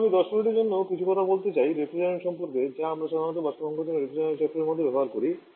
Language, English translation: Bengali, Now, I would like to talk little bit about 10 minutes on the refrigerant that we command using vapour compression Refrigeration cycle